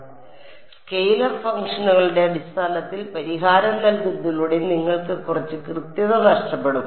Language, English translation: Malayalam, So, by putting the solution in terms of scalar functions you lose a little bit of accuracy ok